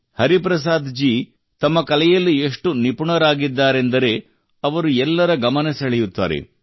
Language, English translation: Kannada, Hariprasad ji is such an expert in his art that he attracts everyone's attention